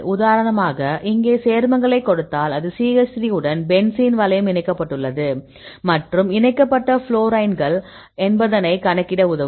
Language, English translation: Tamil, For example, here I give one a compound, this is the benzene ring with the CH3 is attached here and the fluorines attached here